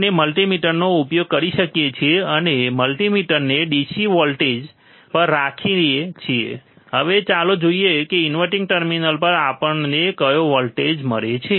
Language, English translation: Gujarati, We can use the multimeter and we keep the multimeter at the DC voltage, DC voltage, now let us see what voltage we get at the inverting terminal